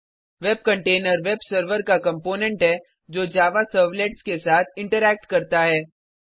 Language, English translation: Hindi, A web container is a component of the web server that interacts with Java servlets It is also known as servlet container